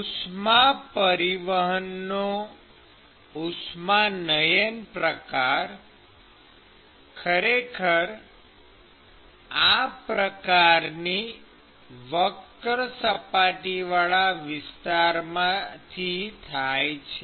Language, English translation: Gujarati, And the convective mode of heat transport is actually occurring from the curved surface area of this object